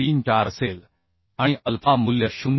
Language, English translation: Marathi, 34 alpha value will be 0